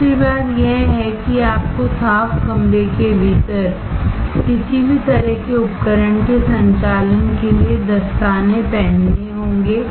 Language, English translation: Hindi, Second thing is, you have to wear gloves when you are operating any kind of equipment, within the clean room